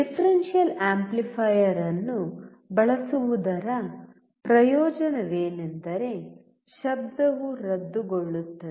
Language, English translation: Kannada, The advantage of using a differential amplifier is that the noise gets cancelled out